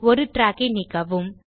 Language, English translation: Tamil, Delete one track